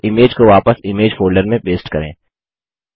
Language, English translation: Hindi, Now paste the image back into the image folder